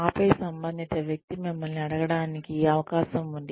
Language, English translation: Telugu, And then, the person concerned has a chance to ask you